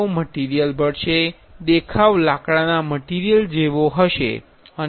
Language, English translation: Gujarati, They would filled material, the appearance will be similar to a wood material